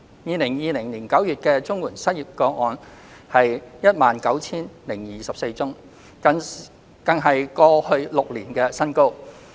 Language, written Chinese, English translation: Cantonese, 2020年9月的綜援失業個案為 19,024 宗，更是過去6年的新高。, The number of CSSA unemployment cases in September 2020 was 19 024 which was the highest in the past six years